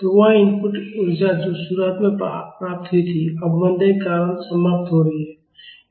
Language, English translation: Hindi, So, that input energy which was received at the beginning is getting dissipated because of damping